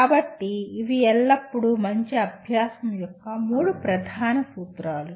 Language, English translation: Telugu, So these are the three core principles of good learning always